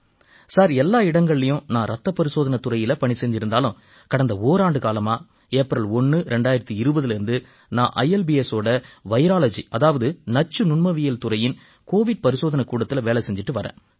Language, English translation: Tamil, Sir, although in all of these medical institutions I served in the blood bank department, but since 1st April, 2020 last year, I have been working in the Covid testing lab under the Virology department of ILBS